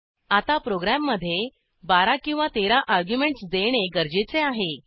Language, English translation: Marathi, Now we need to give 12 or 13 arguments to the program